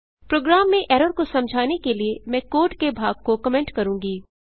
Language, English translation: Hindi, To explain the error in the program, I will comment part of the code